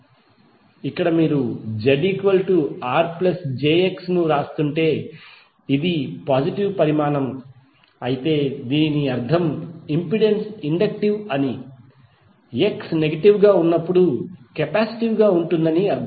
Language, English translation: Telugu, So here if you are writing Z is equal to R plus j X if this is the positive quantity, it means that the impedance is inductive while it would be capacitive when X is negative